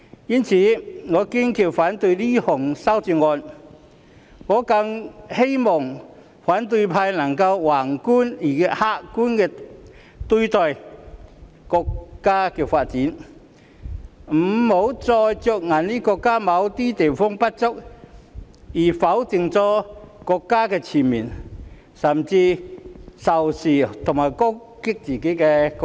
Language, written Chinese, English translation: Cantonese, 因此，我堅決反對這項修正案，我更希望反對派能以宏觀及客觀的態度來對待國家的發展，別再着眼於國家某些方面的不足，而全面否定國家，甚至仇視和攻擊自己的國家。, Therefore I steadfastly oppose this amendment . And I all the more hope that the opposition camp can look at the development of the country from a broad and objective perspective and refrain from focussing on the inadequacies of the country in certain respects and categorically denying our country and even harbouring hatred for and attacking our own country